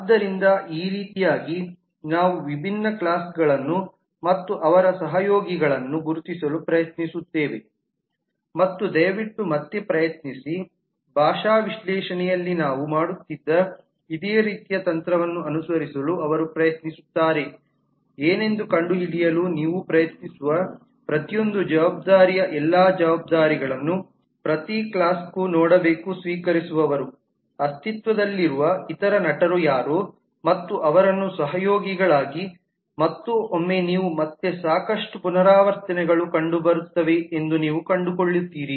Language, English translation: Kannada, so in this way we try to identify different classes and their collaborative and again please try to follow similar kind of technique that we were doing in the linguistic analysis also they try to look into every class all responsibilities for every responsibility you try to find out what are the recipients, what are the other actors that exist and put them as collaborators and once you have done that you will find that again there will be lot of repetition